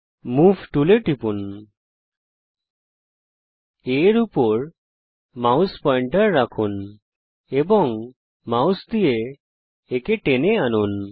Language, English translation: Bengali, Click on the Move tool, place the mouse pointer on A and drag it with the mouse